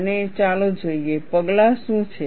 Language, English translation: Gujarati, And let us see, what are the steps